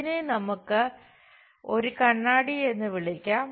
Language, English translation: Malayalam, Let us call this is a mirror